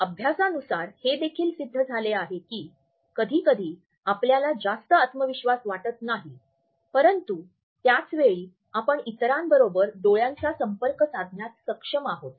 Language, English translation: Marathi, Studies have also shown us that sometimes we may not feel very confident in our heart, but at the same time we are able to manage a strong eye contact with others